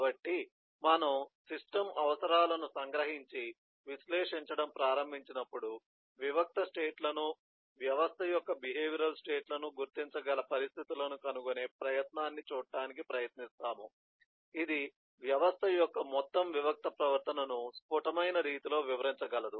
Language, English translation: Telugu, so when we capture the system requirements and start analyzing we try to see the, try to find out situations where we try to identify discrete eh states, behavior states of the system which can in crisp way describe the overall discrete behavior of the system that we are trying to describe